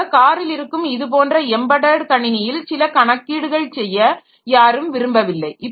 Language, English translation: Tamil, So, nobody will like to do some computation on the embedded computer that we have in a car